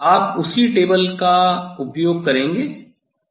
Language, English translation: Hindi, this similar table we are going to use